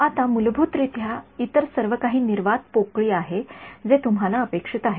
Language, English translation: Marathi, Now, by default everything else is vacuum that is what you would expect ok